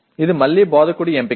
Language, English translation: Telugu, This is again a choice of the instructor